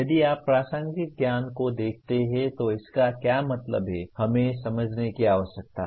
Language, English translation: Hindi, If you look at contextual knowledge, what does it mean we need to understand